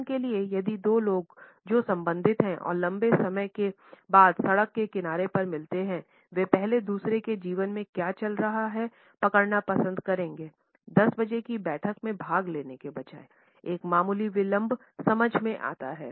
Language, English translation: Hindi, For example if two people who belong to this cultured meet on the street corner after a long time, they would prefer to catch on what is going on in others life first rather than rushing to a 10 o clock meeting, a slight delay is understandable